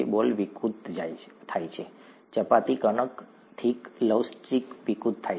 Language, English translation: Gujarati, The ball distorts, the chapati dough, okay, flexible, distorts